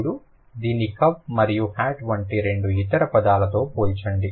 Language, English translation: Telugu, Now compare this with two other words like cup and hat